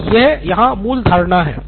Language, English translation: Hindi, So that is the basic assumption here